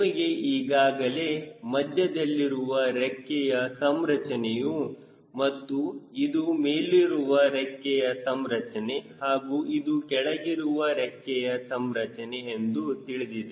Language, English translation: Kannada, you are aware this is a mid wing configuration, this is high wing configuration and this is low wing configuration